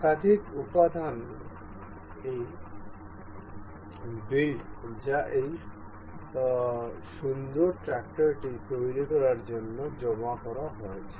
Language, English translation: Bengali, This build of multiple components that have been accumulated to form this beautiful tractor